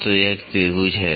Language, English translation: Hindi, So, this is a triangle